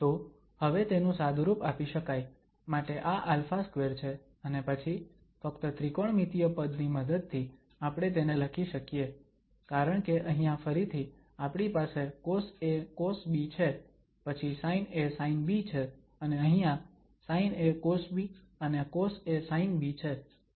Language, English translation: Gujarati, So, that can now be simplified, so this alpha square and then we can just write down this with the help of the trigonometric identity because here again we have cos a cos b, then sin a sin b, and here sin a this cos b and cos a sin b, etc